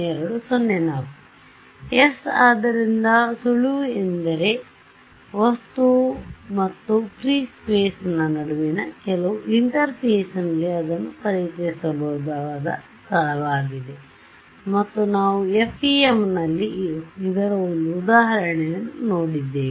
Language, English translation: Kannada, So yeah the hint is that at the at some interface between the object and free space is possibly where I can introduce this, and we have seen one example of this in the FEM ok